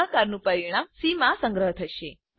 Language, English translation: Gujarati, The result of division is stored in c